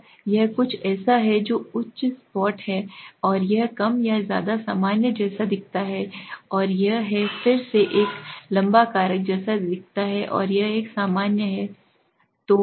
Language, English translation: Hindi, Now this is something that is higher flat and this is more or less look like very normal and this is again look like a tall factor and this is normal okay